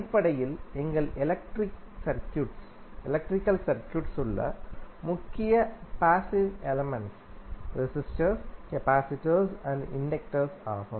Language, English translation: Tamil, Basically, the major passive elements in our electrical circuits are resistor, capacitor, and inductor